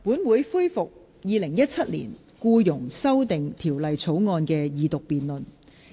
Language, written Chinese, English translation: Cantonese, 本會恢復《2017年僱傭條例草案》的二讀辯論。, This Council resumes the Second Reading debate on the Employment Amendment Bill 2017 the Bill